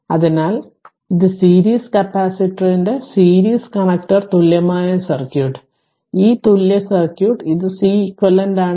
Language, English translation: Malayalam, So, this is series connector equivalent circuit of the series capacitor, this equivalent circuit and this is Ceq right